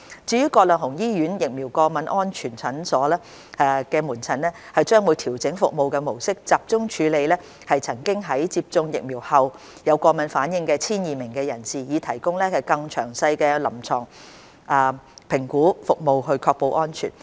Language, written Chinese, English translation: Cantonese, 至於葛量洪醫院疫苗過敏安全門診，將會調整服務模式，集中處理曾經在接種疫苗後有過敏反應的約 1,200 名人士，以提供更詳細的臨床評估服務確保安全。, As regards VASC at Grantham Hospital it will refine its service model to focus on handling the some 1 200 cases with allergic reactions after vaccination so as to provide more detailed clinical assessment service to ensure safety